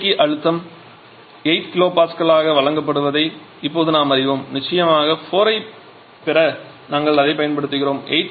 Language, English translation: Tamil, Now we know the condenser pressure is given as 8 kilo Pascal of course we are using that to get point 4